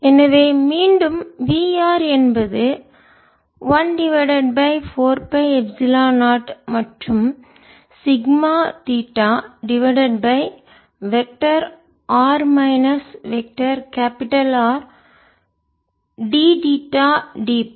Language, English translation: Tamil, so again, we are equal to one over four pi epsilon naught sigma naught theta over vector r minus capital r, d theta, d phi